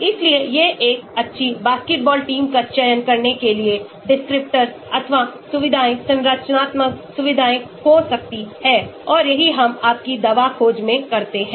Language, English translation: Hindi, so these could be the descriptors or features, structural features for selecting a good basketball team and that is what we do in your drug discovery